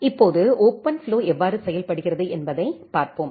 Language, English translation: Tamil, Now, let us look into that how OpenFlow works